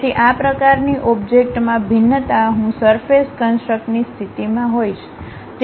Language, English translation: Gujarati, So, varying these kind of objects I will be in a position to construct a surface